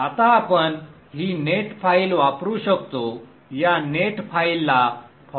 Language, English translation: Marathi, Now we can use this net file